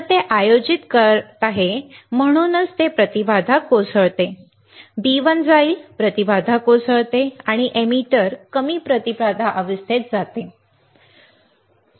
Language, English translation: Marathi, So, it is conducting that is why this is a it goes to the impedance collapses B1 will go to impedance collapses and the emitter goes into low impedance stage, right, it will conduct